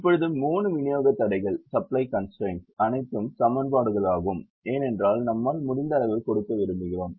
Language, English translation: Tamil, now the three supply constraint are all equations because we want to give as much as we can